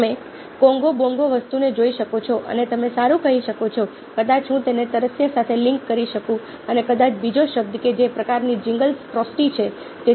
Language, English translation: Gujarati, you can look at the congo bongo thing, an you can say, ok, fine, maybe i can link it off with thirsty and maybe another word which kind of gingles, ok, frusty